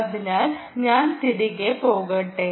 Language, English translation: Malayalam, so let me go back